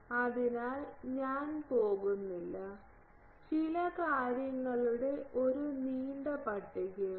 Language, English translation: Malayalam, So, I am not going there are some long list of things